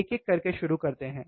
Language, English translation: Hindi, Let us start one by one